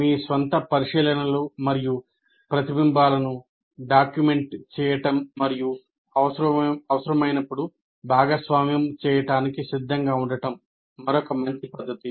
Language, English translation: Telugu, Now, another good practice is to document your own observations and reflections and be willing to share when required